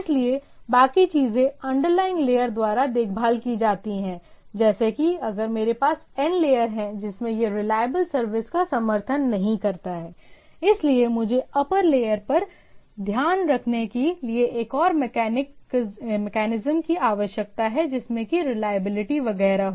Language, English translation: Hindi, So, rest of the things that taken care by the underlying layers to be there like, if I have n layer in which it do not support reliable service, but the so, I need to have a other mechanism to take care at the upper layer etcetera to have a reliability, etcetera